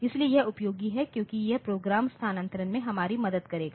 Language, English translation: Hindi, So, this is useful because it will help us in program relocation